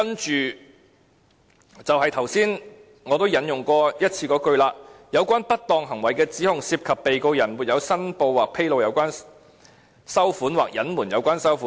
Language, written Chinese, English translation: Cantonese, 接着，就是我剛才引用過一次的這句，"有關不當行為的指控，涉及被告人沒有申報或披露有關收款，或隱瞞有關收款。, What follows is the sentence which I have quoted once just now The allegation of impropriety relates to his failure to declare or disclose or concealment of the receipt in question